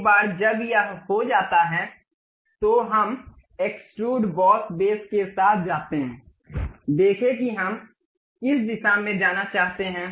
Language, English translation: Hindi, Once it is done, we go with extrude boss base, see in which direction we would like to have